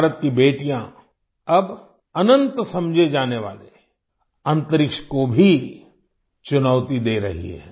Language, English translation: Hindi, The daughters of India are now challenging even the Space which is considered infinite